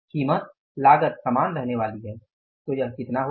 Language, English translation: Hindi, The price is going to, cost is going to remain the same